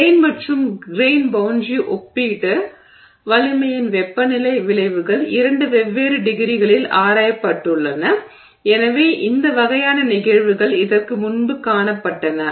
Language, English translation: Tamil, So, temperature effects on the relative strengths of grain and grain boundary have been investigated at different degrees and so these kind of phenomena have been seen before